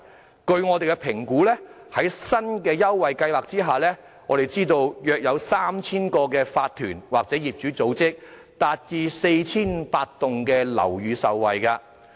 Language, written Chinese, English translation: Cantonese, 根據我們的評估，在新的優惠計劃下，約有 3,000 個法團或業主組織或 4,500 幢樓宇受惠。, According to our assessment around 3 000 OCs or owners organization or 4 500 buildings will benefit under the new concession scheme . President we come across maintenance problems in the districts quite often